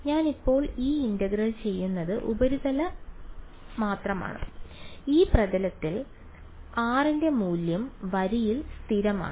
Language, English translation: Malayalam, What will this integral over I am now doing this integral only on the surface right, on this surface the value of r is constant right on the line rather